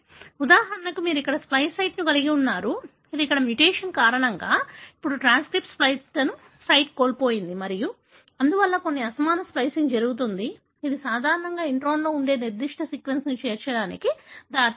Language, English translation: Telugu, For example, you have a splice site here, which, because of mutation here, now the transcript has lost the splice site and therefore, there is some aberrant splicing happens, leading toinclusion of certain sequence that is normally present in intron